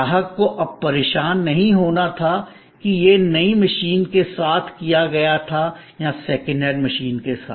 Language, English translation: Hindi, The customer no longer had to bother that whether it was done with in brand new machine or with a second hand machine